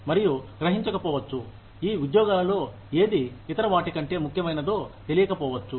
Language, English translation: Telugu, And, may not realize, which of these jobs is, more important than the other